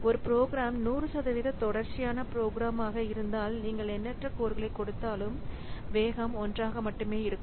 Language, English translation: Tamil, So, if a program is 100% sequential program, then even if you put, say, infinite number of course, the speed up will remain one only